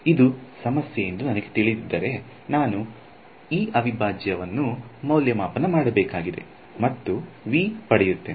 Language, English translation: Kannada, If I knew it the problem would be done then I just have to evaluate this integral and I will get V